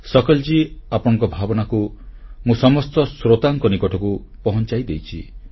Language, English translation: Odia, Sakal ji, I have conveyed your sentiments to our listeners